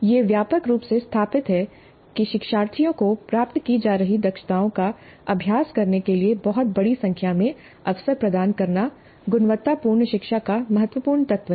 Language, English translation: Hindi, It's widely established that providing learners with a very large number of opportunities to practice the competencies being acquired is crucial element of quality learning